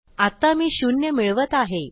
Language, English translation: Marathi, At the moment I am adding zero